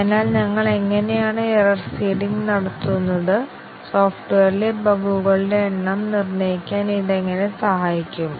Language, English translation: Malayalam, So, how do we do the error seeding and how does it help us determine the number of bugs in the software